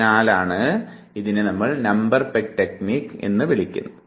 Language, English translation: Malayalam, So, this is called Number Peg Technique